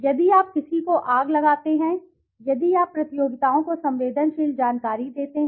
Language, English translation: Hindi, If you fire somebody, if you pass on the sensitive information to the competitors